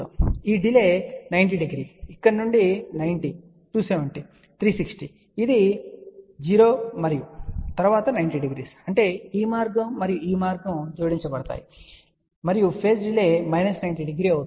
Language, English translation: Telugu, So, this delay is minus 90 degree, from here 90, 270, 360 degree which is 0 and then a 90 degree so; that means, this path and this path will add up, and the phase delay will be minus 90 degree